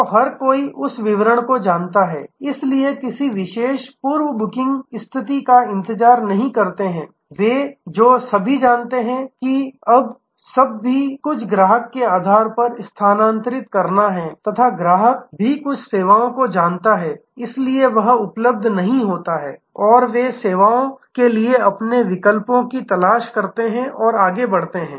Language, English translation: Hindi, So, everybody knows that particular, so there not waiting with a particular earlier booking status they all know, that now everything is to shift on the customer also interaction knows the some of the services therefore, may not be available, they me look for alternative services and so on